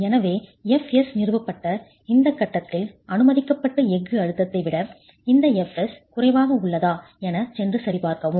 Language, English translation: Tamil, So at this stage with fs established, you go and check if this FS is less than the permissible steel stress FS